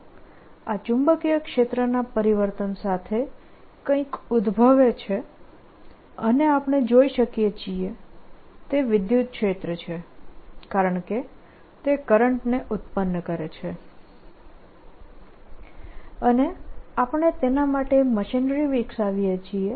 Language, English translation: Gujarati, right, something exist, the change of this, this magnetic field, something is given rise to and we can see that electric field because that that derives the current and we want to develop the machinery form for it